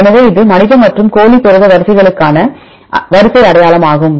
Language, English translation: Tamil, So, this is the sequence identity between human and chicken protein sequences